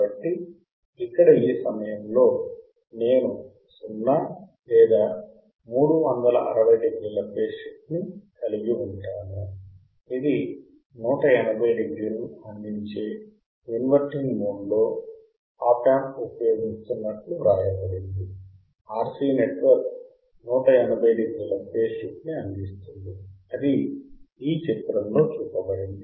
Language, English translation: Telugu, So, here at this point, I will have phase shift of 0 or 360 degree right this is what is written the op amp is using used in inverting mode providing 180 degrees the RC network device provides the 180 degree phase shift, this is shown in figure